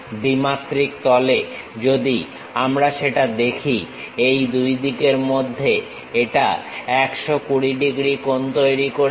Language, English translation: Bengali, In two dimensions if we are seeing that, it makes 120 degrees angle, in between these sides